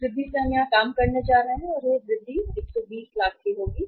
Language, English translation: Hindi, That increase we are going to work out here and that increase will be 120 lakhs right